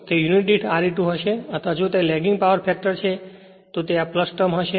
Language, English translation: Gujarati, It will be simply R e 2 per unit right or and if it is a lagging power factor, it will plus this term